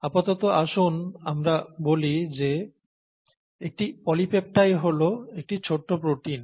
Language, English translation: Bengali, A polypeptide is nothing but a shorter form of protein